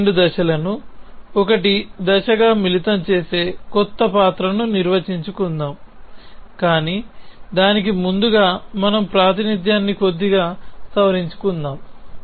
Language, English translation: Telugu, So, let us define a new role which combines these 2 steps into 1 step, but to that let us first modify our representation little bit to make it simpler for us